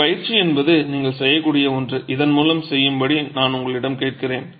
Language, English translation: Tamil, An instructive exercise is something that you can do and I will ask you to work through this